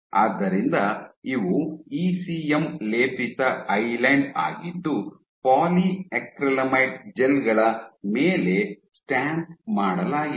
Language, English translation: Kannada, So, these are ECM coated island stamped on top of polyacrylamie gels